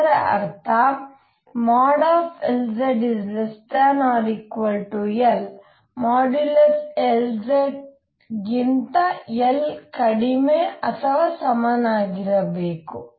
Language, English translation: Kannada, Since L z is z component of L it means that modulus L z has to be less than or equal to L